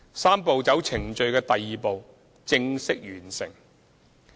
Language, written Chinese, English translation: Cantonese, "三步走"程序的第二步正式完成。, The second step of the Three - step Process has formally completed